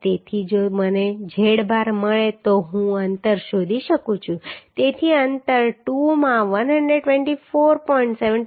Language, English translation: Gujarati, 76 millimetre right So if I get z bar then I can find out the spacing so spacing will be 2 into 124